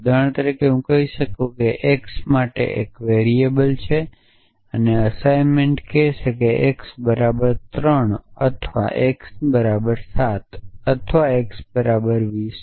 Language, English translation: Gujarati, So, for example I might say there is a variable for x and the assignment will say x equal to 3 or x equal to 7 or x equal to 20